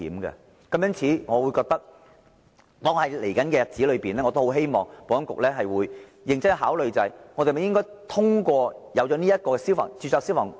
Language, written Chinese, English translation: Cantonese, 因此，在未來日子裏，我希望保安局會認真考慮應否進一步擴展註冊消防工程師的應用範圍。, Therefore I hope that in the future the Security Bureau can seriously consider the need for further expanding the scope of the RFE Scheme